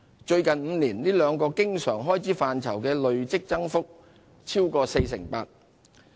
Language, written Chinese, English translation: Cantonese, 最近5年，這兩個經常開支範疇的累積增幅超過 48%。, Recurrent expenditure in these two areas has recorded a cumulative increase of more than 48 % over the past five years